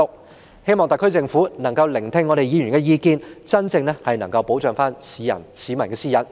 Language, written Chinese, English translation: Cantonese, 我希望特區政府可以聆聽議員的意見，真正保障市民的私隱。, I hope the SAR Government will listen to Members views and genuinely protect the peoples privacy